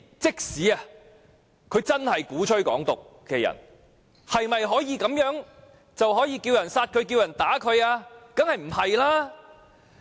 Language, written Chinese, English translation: Cantonese, 即使有人鼓吹"港獨"，是否便代表可以着其他人殺他、打他呢？, Although there are people advocating Hong Kong independence does it mean that we can incite other people to kill them or beat them up?